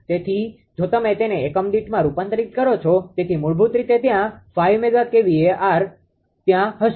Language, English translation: Gujarati, So, if you convert it to per unit, so basically 5 mega watt will be there